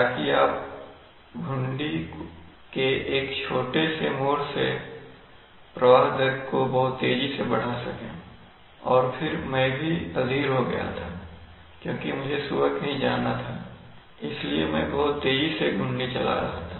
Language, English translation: Hindi, So that you can, by a small turn of the knob, you can increase the flow rate very fast and then I was also impatient in the morning I had to go somewhere so I was very quickly moving the knob